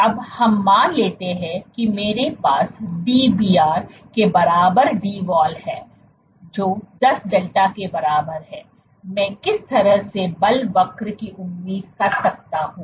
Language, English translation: Hindi, Now let us assume I have Dbr equal to Dwall equal to 10 delta what kind of a force curve may I expect